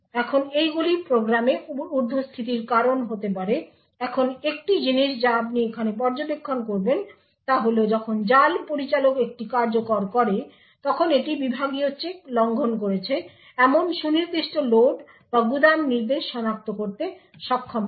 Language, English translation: Bengali, Now these could cause overheads in the program now one thing what you would observe were here is when the trap handler executes it would be able to identify the precise load or store instruction that has violated the segment check